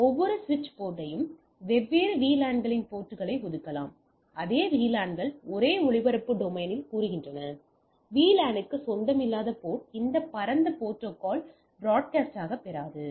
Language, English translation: Tamil, So, each switch port can be assign different VLANs ports assigned same VLANs say on the same broadcast domain, port that do not belong to a VLAN do not receive this broad cast